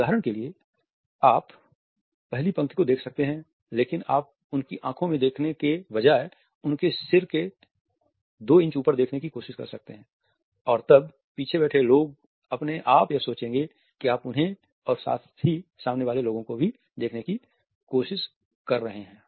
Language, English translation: Hindi, For example, you can look at the first row, but instead of looking into their eyes, you can try to look at couple of inches higher than the head for example or the airline and then the people who are sitting on the back rose would automatically think that you are trying to look at them as well as the front row people also